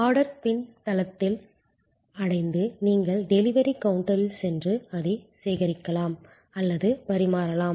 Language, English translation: Tamil, And the order reaches the backend and then you can either go and collect it from the delivery counter or it can be served